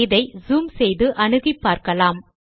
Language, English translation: Tamil, Let me zoom this file